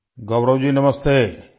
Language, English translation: Urdu, Gaurav ji Namaste